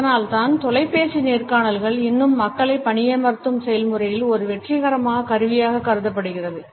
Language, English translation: Tamil, And that is why we find the telephonic interviews are still considered to be a successful tool in the process of hiring people